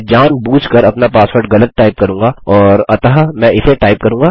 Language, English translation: Hindi, Ill type my password wrong on purpose